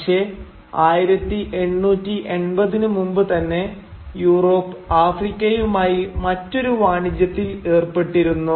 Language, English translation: Malayalam, But, therefore, Europe was involved in one particular kind of trade with Africa even before 1880’s the trade of humans